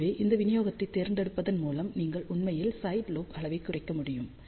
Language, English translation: Tamil, So, by choosing this distribution, you can actually reduce the sidelobe level